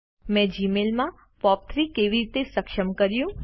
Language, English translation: Gujarati, How did I enable POP3 in Gmail